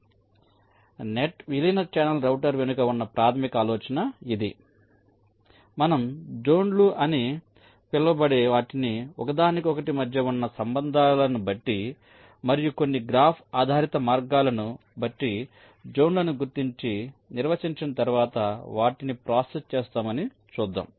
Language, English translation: Telugu, ok, so this is the basis idea behind net merge channel router, where we shall see that we shall be handling something called zones, the relationships upon each other, and also some graph based means, processing once the zones are indentified and defined